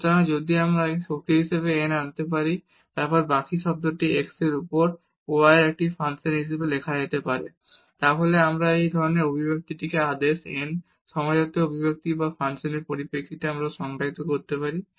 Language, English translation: Bengali, So, if we can bring this x power n and then the rest term can be written as a function of y over x, then we call such expression as a a homogeneous expression of order n or in terms of the functions we can define